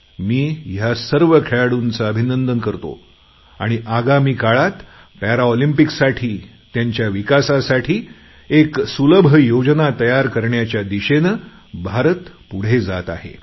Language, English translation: Marathi, I once again congratulate all our Paralympic athletes and India is progressing in the direction of preparing an effective plan for developing our athletes and also the facilities for the Paralympics